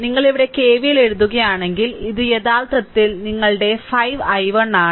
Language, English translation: Malayalam, If you write KVL here, KVL here, so it is actually your 5 i 1 right